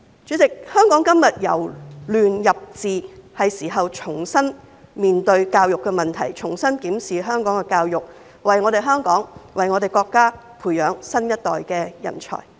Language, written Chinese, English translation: Cantonese, 主席，香港今天由亂入治，是時候重新面對教育的問題，重新檢視香港的教育，為香港和國家培養新一代的人才。, President as Hong Kong is moving from chaos to governance it is time to face up to the issue of education again re - examine education in Hong Kong and nurture a new generation of talent for Hong Kong and the country